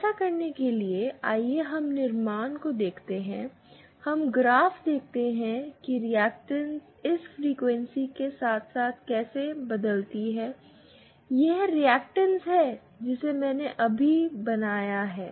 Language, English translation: Hindi, To do that, let us let us see the construction, let us see the graph or how the reactance varies with this frequency, the reactance that I just drew